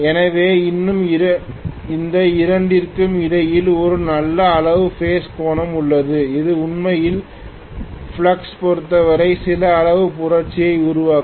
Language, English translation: Tamil, So still there is a good amount of phase angle between these two which will actually create some amount of revolution as far as the flux is concerned